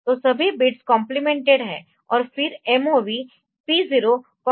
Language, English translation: Hindi, So, all the bits are complemented and then move P 0 comma A